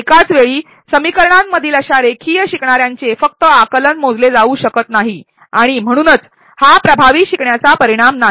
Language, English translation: Marathi, The mere understanding of learners of linear in simultaneous equations cannot be measured at such and thus it is not an effective learning outcome